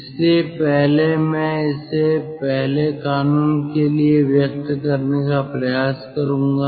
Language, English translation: Hindi, so first i am trying to draw it for first law